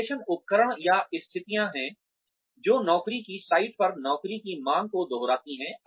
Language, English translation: Hindi, Simulations are devices or situations, that replicate job demands, at an off the job site